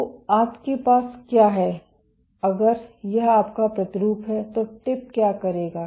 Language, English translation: Hindi, So, what you have if this is your sample what the tip will do